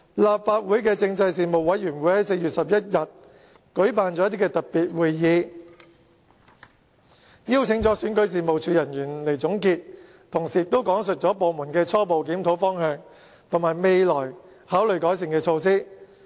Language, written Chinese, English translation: Cantonese, 立法會政制事務委員會在4月11日舉辦了特別會議，邀請選舉事務處人員來交代，他們同時亦講述了部門的初步檢討方向及考慮採取的改善措施。, The Legislative Councils Panel on Constitutional Affairs held a special meeting on 11 April and invited staff of REO to give explanation . The official concerned explained the direction of the preliminary review and the improvement measures being considered